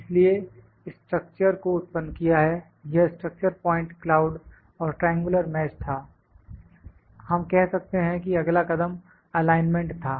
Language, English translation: Hindi, Now, this is we are generated the features, we have generated the structure this was structured point cloud and triangular mesh we can say we can that the next step was the alignment, ok